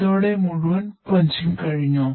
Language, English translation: Malayalam, So after that entire punching is done